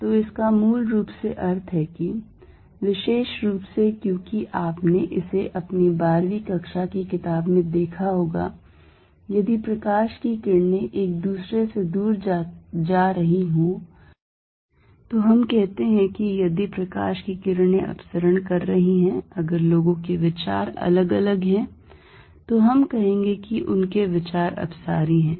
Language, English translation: Hindi, So, what basically it means is particularly, because you may have seen it in your 12th grade book, if light rays are going away from each other, we say light rays are diverging, if people have differing views we will say they have divergent views